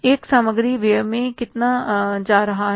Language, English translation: Hindi, This expenses are going to be how much